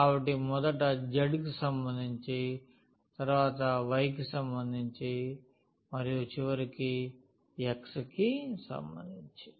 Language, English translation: Telugu, So, first with respect to z, then with respect to y and at the end with respect to x